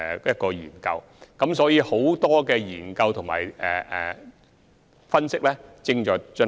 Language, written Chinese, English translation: Cantonese, 因此，現時有多項研究及分析正在進行。, Therefore a considerable number of studies and analyses are being conducted at present